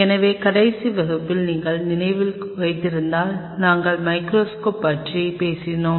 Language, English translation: Tamil, So, in the last class if you recollect we were talking about the microscopy